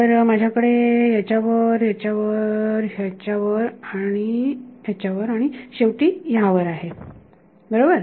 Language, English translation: Marathi, So, I have over this over this over this over this and finally, over this right